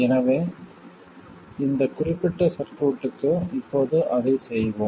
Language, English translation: Tamil, So let's do that now for this particular circuit